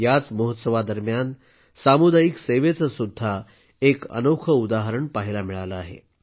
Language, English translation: Marathi, During this period, wonderful examples of community service have also been observed